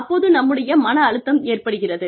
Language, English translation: Tamil, That is where, the stress starts coming about